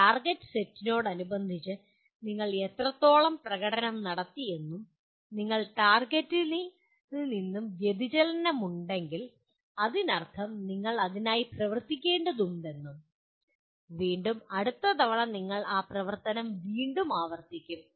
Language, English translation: Malayalam, You check how far you have performed with respect to the target set and if there is a deviation from the target then you have to act for that and acting would mean again it has to get translated into plan next time you do the again repeat that activity